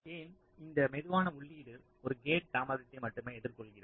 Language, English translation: Tamil, because this slowest input a is encountering only one gate delay